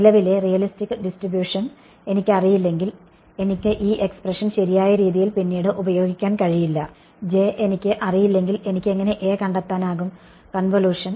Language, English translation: Malayalam, If I do not know the realistic current distribution I can no longer use this expression right; if I do not know J how can I find out A, the convolution